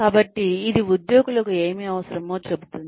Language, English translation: Telugu, So, it tells the employees, what it wants